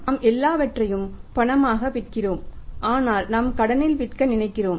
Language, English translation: Tamil, We are selling everything on cash but we are thinking of selling on the credit